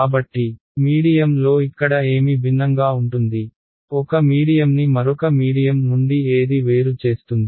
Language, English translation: Telugu, What is different over here, what differentiates one medium from another medium